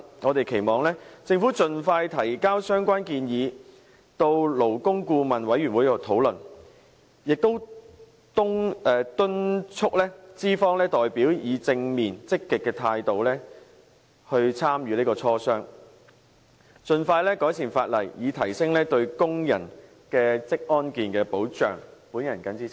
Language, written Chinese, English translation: Cantonese, 我們期望政府盡快提交相關建議，讓勞工顧問委員會討論，並且敦促資方代表以正面積極的態度參與磋商，盡快改善法例，以提升對工人的職安健保障。, We hope that the Government can expeditiously present the relevant proposals to the Labour Advisory Board for discussion and urge its employers representatives to participate in discussions with a positive and active attitude so that the law can be improved as soon as possible and in turn enhance the protection of workers occupational safety and health